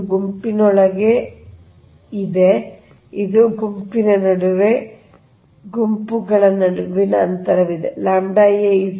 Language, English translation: Kannada, this is within the group, this is between the group, the distance between the group, right